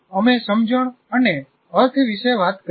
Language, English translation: Gujarati, We have talked about sense and meaning